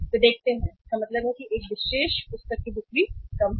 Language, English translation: Hindi, They see that means a one particular book is having a low sales